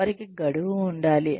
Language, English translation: Telugu, They should have a deadline